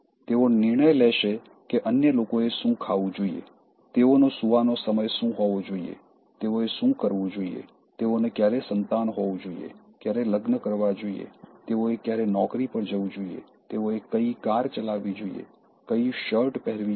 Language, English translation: Gujarati, They will decide what other should eat, the time they should sleep, what they should do, when they should have children, when they should get married, when they should go for a job, what car they should be driving, what shirt they should be wearing